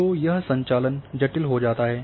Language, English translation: Hindi, So, this operation becomes complicated